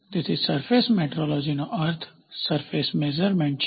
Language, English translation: Gujarati, So, the topic of discussion will be Surface Metrology